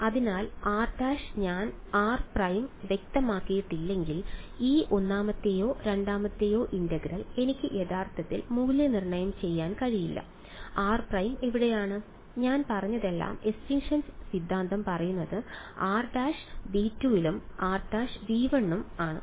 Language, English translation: Malayalam, So, r prime unless I specify r prime I cannot actually evaluate this first or second integral was where is r prime all I have said is all that extinction theorem says is r prime must belong to V 2 and r prime must belong to V 1 in the second part right